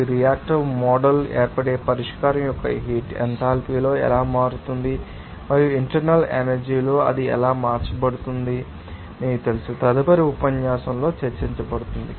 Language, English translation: Telugu, They are some heat of solution heat of formation in the reactive mode, how that in enthalpy will be changing and also in internal energy, how it will it will be changed that would be, you know, discussed in the next lecture